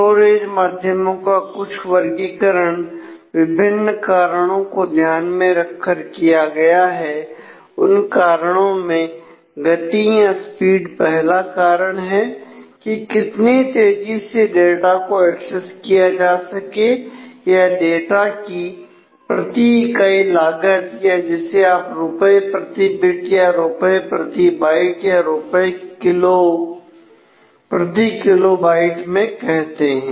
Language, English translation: Hindi, So, some of the the classification of storage media done on different factors the factors includes speed which is the first thing the how fast the data can be accessed the cost per unit of data you can say the rupees per bit or rupees per byte or rupees per kilobyte something like that